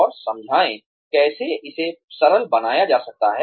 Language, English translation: Hindi, And explain, how it can be made simpler